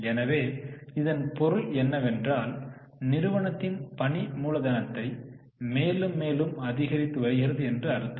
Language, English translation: Tamil, So, what does it mean that company is now keeping more and more working capital